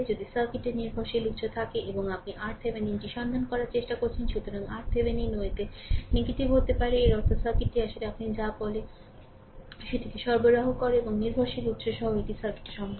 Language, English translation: Bengali, If the circuit has dependent sources and you trying to find out R Thevenin, so R Thevenin may become negative also in; that means, the circuit actually is your what you call that supplying power and this is possible in a circuit with dependent sources